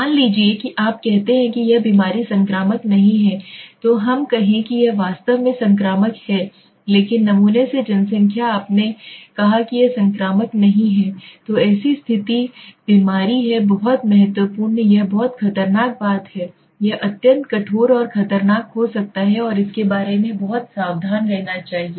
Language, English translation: Hindi, Suppose you say that this disease is not infectious let us say this is actually infectious but from the population from the sample you said it is not infectious then is such a condition disease being very important thing it very dangerous thing it becomes extremely harsh and dangerous and we should be very careful about it okay